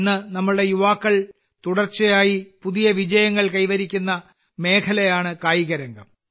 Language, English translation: Malayalam, Today, sports is one area where our youth are continuously achieving new successes